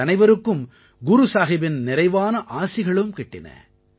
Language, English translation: Tamil, All of us were bestowed with ample blessings of Guru Sahib